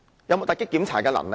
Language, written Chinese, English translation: Cantonese, 有否突擊檢查的能力？, Is it capable of carrying out surprise checks?